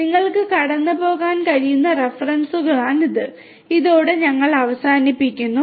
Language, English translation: Malayalam, So, these are the references that you could go through and with this we come to an end